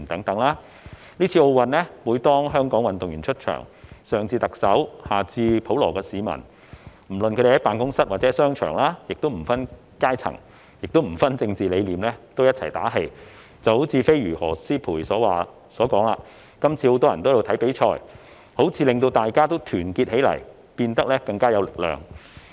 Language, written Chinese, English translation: Cantonese, 在今次奧運會，每當香港運動員出場，上至特首下至普羅市民，不論是在辦公室或商場，均不分階層和政治理念齊心打氣，正如"飛魚"何詩蓓所說："今次很多人都在看比賽，彷彿令大家團結起來，變得更有力量"。, At this Olympic Games people ranging from the Chief Executive to the general public regardless of social classes and political beliefs and be they at office or in a shopping mall will all unite to cheer for every appearance of Hong Kong athletes . As Siobhan Bernadette HAUGHEY The Flying Fish said So many people are watching the games this time and this seems to have united everyone to become more powerful